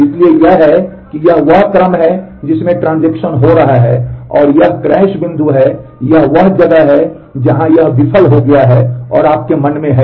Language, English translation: Hindi, So, this is the how that this is the order in which the transactions are going and this is the crash point, these is where it failed and mind you